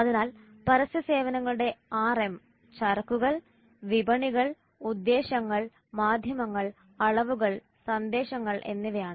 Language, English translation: Malayalam, So the six aims of advertising service are merchandise, markets, motives, media, measurement and messages